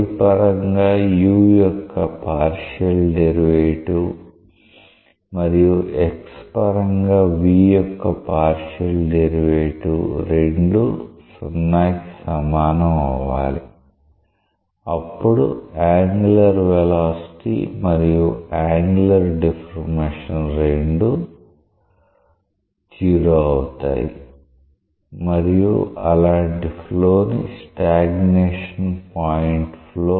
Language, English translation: Telugu, You must have both the partial derivative of u with respect to y and partial derivative of v with respect to x equal to 0, then both the angular velocity as well as the angular deformation will be equal to 0 and then such a case is visible, that is known as a stagnation point flow